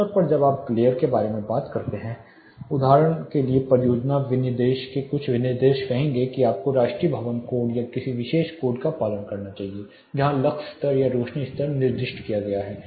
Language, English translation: Hindi, Typically when you talk about glare some of the specifications say project specification will say you should follow national building code or this particular code where the lux level are the illuminance level is specified